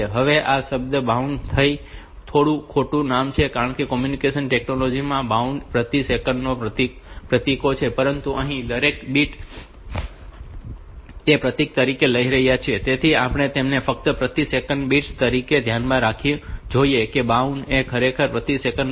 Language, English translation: Gujarati, So, this baud is the symbols per second, but here we are taking each bit as a symbol so we will be simply talking them as bits per second keeping in mind that body is actually symbols per second